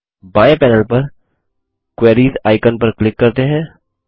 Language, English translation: Hindi, Let us click on the Queries icon on the left panel